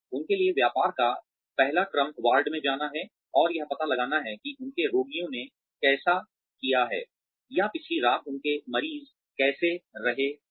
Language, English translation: Hindi, The first order of business for them, is to go to the ward, and find out, how their patients have done, or how their patients have been, the previous night